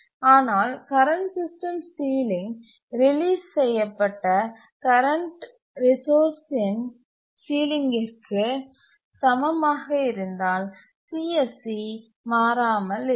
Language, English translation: Tamil, But if the current system ceiling is equal to the ceiling of the current task, sorry, the resource that is released, then the CSC remains unchanged